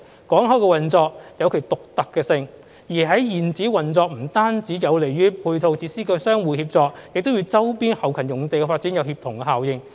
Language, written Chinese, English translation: Cantonese, 港口的運作有其獨特性，在現址運作不單有利於配套設施的相互協作，亦與周邊後勤用地的發展有協同效應。, Given the uniqueness of port operation not only is operating the port in its present location conducive to the mutual collaboration of ancillary facilities it also has a synergy effect with the development of the peripheral logistic sites